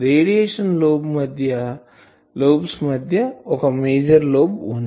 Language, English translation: Telugu, Amongst radiation lobes , there is a major lobe